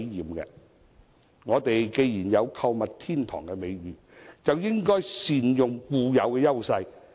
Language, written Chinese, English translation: Cantonese, 既然香港有購物天堂的美譽，便應該善用固有的優勢。, Since Hong Kong has the reputation as a shoppers paradise it should capitalize on its existing edges